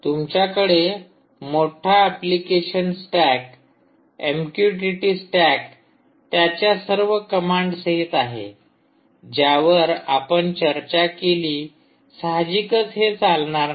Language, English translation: Marathi, you have a huge application stack, m q t t stack, with all these commands which we discussed and all that